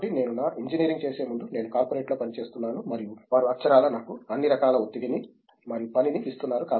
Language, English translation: Telugu, So, before I did my engineering then I was working in corporate and they were literally giving me all the stress and all the work